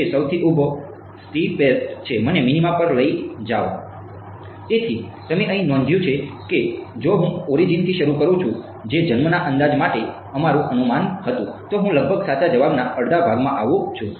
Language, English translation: Gujarati, So, you notice over here if I start from the origin which was our guess for born approximation I fall into approximately the correct answer half half right